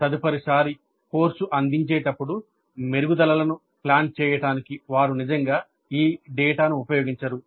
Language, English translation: Telugu, They really do not make use of this data to plan improvements for the delivery of the course the next time it is offered